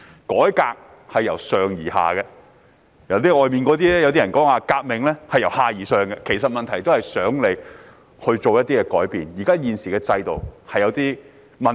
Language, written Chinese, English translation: Cantonese, 改革是由上而下的，而外面的人所說的"革命"，則是由下而上的，目的都是想政府作出改變，因為現行制度有問題。, Reform proceeds in a top - down direction whereas the revolution advocated by those people outside takes a bottom - up direction . Their purpose is to urge the Government to introduce changes as the existing system is problem - ridden